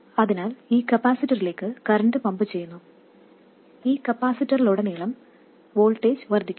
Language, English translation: Malayalam, So, current is being pumped into this capacitor, the voltage across this capacitor goes up